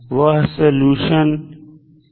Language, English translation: Hindi, What are those solutions